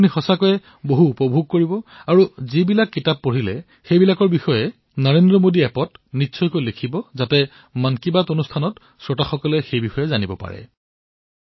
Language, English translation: Assamese, You will really enjoy it a lot and do write about whichever book you read on the NarendraModi App so that all the listeners of Mann Ki Baat' also get to know about it